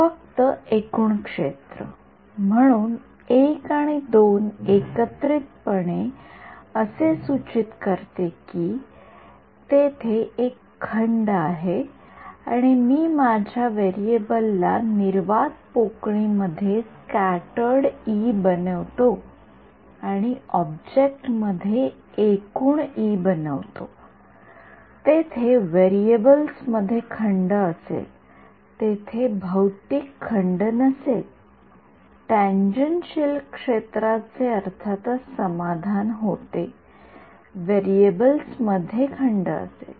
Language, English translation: Marathi, Only total field; so, I and II together imply that there is a discontinuity that will happen if I make my variable to be E scattered in vacuum and E total in the object, there is there will be a discontinuity of the variables, there is no physical discontinuity the tangential field will be of course, be satisfied, but there is a discontinuity in the variables